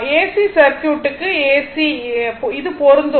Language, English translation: Tamil, Same will be applicable to your AC circuit also